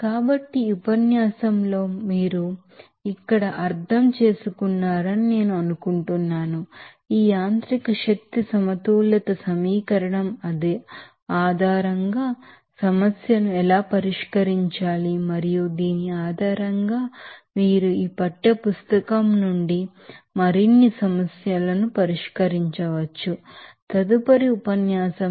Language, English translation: Telugu, So, I think you understood here in this lecture How to solve the problem based on this mechanical energy balance equation and based on which you can solve more problems from this textbook, in the next lecture